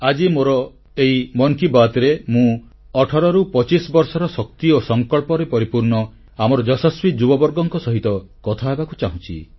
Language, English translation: Odia, And today, in this edition of Mann Ki Baat, I wish to speak to our successful young men & women between 18 & 25, all infused with energy and resolve